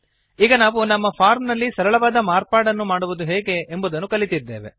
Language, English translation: Kannada, So now, we have learnt how to make a simple modification to our form